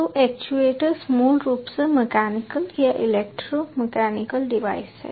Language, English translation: Hindi, so actuators are basically mechanical or electro mechanical devices